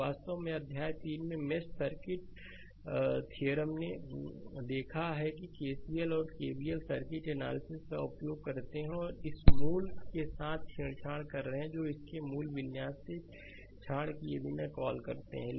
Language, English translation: Hindi, So, circuit theorems actually in chapter 3, we have seen that sometime we have used KCL and KVL right, and circuit analysis and you are tampering with this original your what you call without tampering its original configuration right